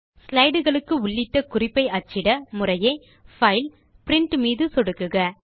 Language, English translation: Tamil, To take prints of your slides, click on File and Print